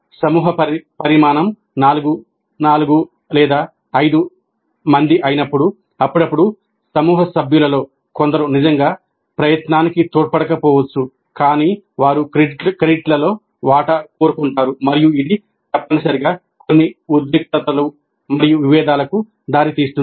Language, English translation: Telugu, When a group size is something like four or five, occasionally it is possible that some of the group members really do not contribute to the effort but they want a share in the credit and this essentially leads to certain tensions and conflicts which need to be resolved